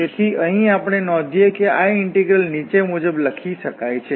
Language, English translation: Gujarati, And just to be noted that thus this integral can also be written as